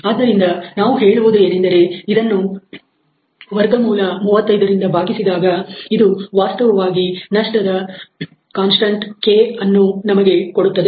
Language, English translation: Kannada, So, we can say that this divided by square of 35 is actually going to give us a loss constant K where in this case it is 0